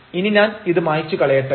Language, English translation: Malayalam, So, let me erase this